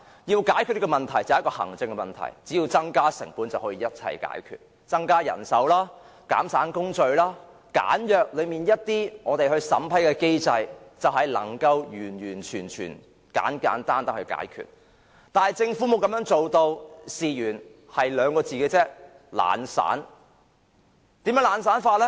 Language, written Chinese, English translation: Cantonese, 如果想解決這一項行政問題，只要增加成本，一切問題都可以解決，包括增加人手、減省工序和簡約審批機制，就可以完全及簡單地解決問題，但政府卻沒有這樣做，原因只有2字——懶散。, In order to tackle this administrative issue we can simply increase the administrative costs and have all problems resolved . Consideration can be given to adopting such measures as introducing manpower increase re - engineering procedures and streamlining the screening mechanism in order to completely resolve the problem in a simple manner . However the Government has failed to do so and this can only be attributed to its tardiness